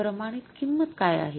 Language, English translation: Marathi, What is the standard cost